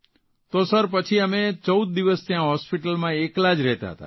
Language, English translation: Gujarati, And then Sir, we stayed at the Hospital alone for 14 days